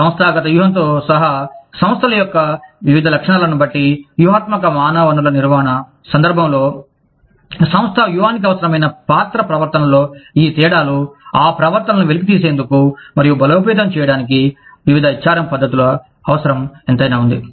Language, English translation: Telugu, Depending on various characteristics of the organizations, including the organizational strategy, in the context of strategic human resource management, these differences in role behaviors, required by organization strategy, require different HRM practices, to elicit and reinforce those behaviors